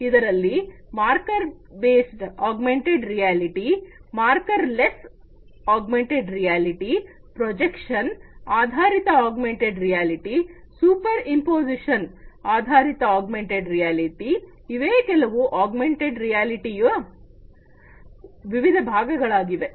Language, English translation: Kannada, We have marker based augmented reality, marker less augmented reality, projection based augmented reality, superimposition based augmented reality these are some of these different types of augmented reality